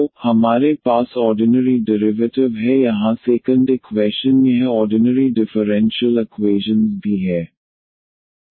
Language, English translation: Hindi, So, we have the ordinary derivatives here the second equation this is also the ordinary differential equation